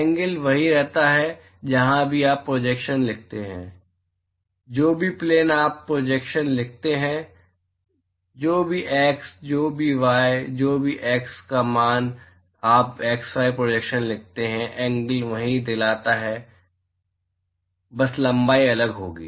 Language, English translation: Hindi, The angle remains the same wherever you write the projection whichever plain you write the projection whichever x whichever x value you write the z y projection the angle reminds the same it just the length will be different